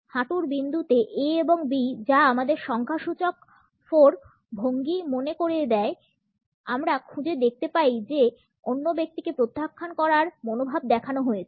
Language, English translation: Bengali, In the knee point A and B which also remind us of the numerical 4 posture; we find that an attitude of rejecting the other person is shown